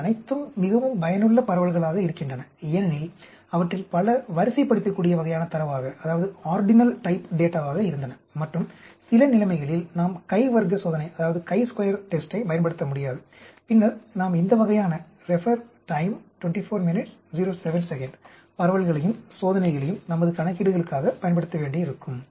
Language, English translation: Tamil, So, all these are very useful distributions to have, as you can see many of them are ordinal type data, and in some situations where we cannot use chi square test, then we may have to use these type of distributions and tests for our calculations